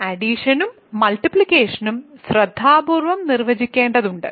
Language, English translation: Malayalam, So, here we have to define addition multiplication carefully